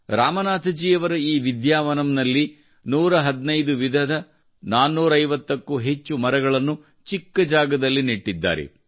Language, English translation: Kannada, In the tiny space in this Vidyavanam of Ramnathji, over 450 trees of 115 varieties were planted